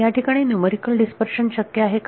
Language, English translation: Marathi, Can there be dispersion numerically